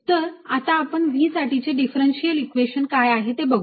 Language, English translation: Marathi, so let us see what is that differential equation